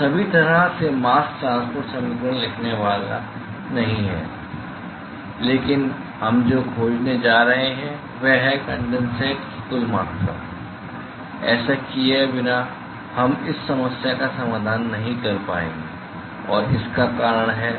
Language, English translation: Hindi, So, all the way not going to write mask transport equation, but what we are going to find is what is the total amount of condensate; without doing this we will not be able to solve this problem and the reason is